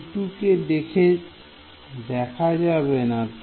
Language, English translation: Bengali, U 2 is not going to appear